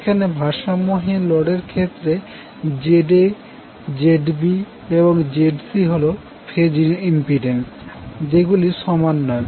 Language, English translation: Bengali, Here in case of unbalanced load ZA, ZB, ZC are the phase impedances which are not equal